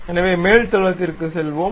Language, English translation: Tamil, So, let us go to top plane